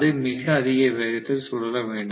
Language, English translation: Tamil, So if it is rotating at a very high speed